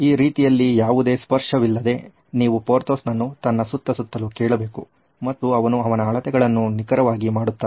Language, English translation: Kannada, This way there is no touching and you just have to ask Porthos to move around and he would make the measurements quite accurately